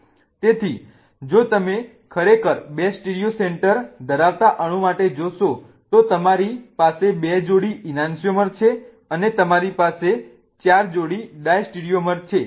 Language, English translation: Gujarati, So, if you really see for a molecule that has two stereocenters, you have two pairs of an ancheomers and you have four pairs of diesteromers present